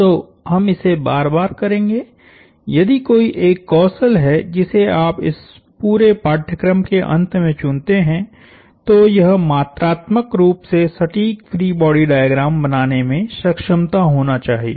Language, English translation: Hindi, So, we are going do this repeatedly over and over again, if there is one skill you pick up from this entire course at the end, it should be to be able to draw quantitatively accurate free body diagrams